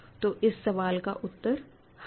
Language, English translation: Hindi, So, the answer to this question is yes ok